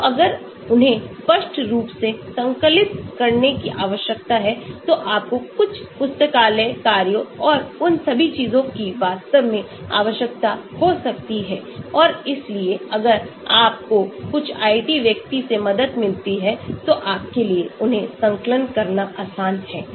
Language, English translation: Hindi, so if you need to compile them obviously you may require certain library functions and all those things actually and so if you get a help from some IT person, it is easy for you to compile them